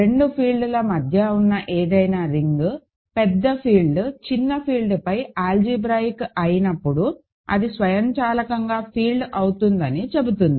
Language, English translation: Telugu, It says that any ring in between two fields, when the bigger field is algebraic over the smaller field is automatically a field